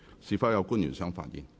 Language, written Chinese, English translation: Cantonese, 是否有官員想發言？, Does any public officer wish to speak?